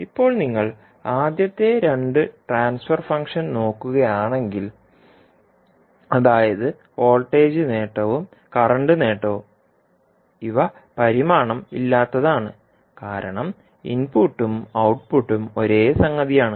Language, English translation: Malayalam, Now if you see the first two transfer function, that is voltage gain and the current gain, these are dimensionless because the output an input quantities are the same